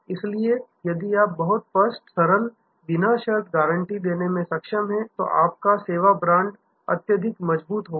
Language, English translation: Hindi, So, if you are able to give a very clear simple unconditional guarantee, your service brand will be highly strengthened